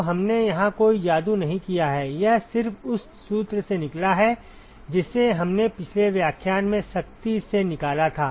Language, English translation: Hindi, So, we have not done any magic here, it just comes out from the formula, which we had derived rigorously in the last lecture